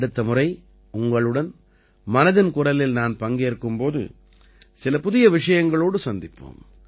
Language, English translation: Tamil, Next time we will again have 'Mann Ki Baat', shall meet with some new topics